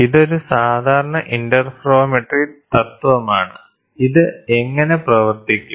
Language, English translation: Malayalam, This is a typical interferometry principle, how does it work